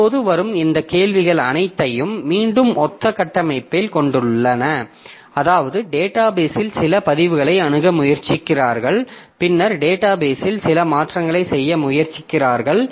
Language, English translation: Tamil, Now, all these queries that are coming, so all these queries they are again of similar structure in the sense that what they do is that they are trying to access some records in the database and then trying to do some modification to the database and all